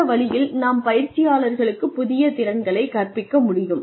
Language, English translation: Tamil, And, this way we can teach people new skills